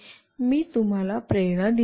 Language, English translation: Marathi, I have given you the motivation